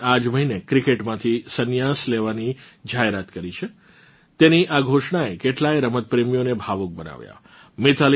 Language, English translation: Gujarati, Just this month, she has announced her retirement from cricket which has emotionally moved many sports lovers